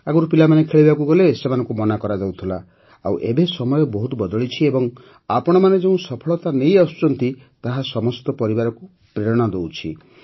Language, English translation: Odia, Earlier, when a child used to go to play, they used to stop, and now, times have changed and the success that you people have been achieving, motivates all the families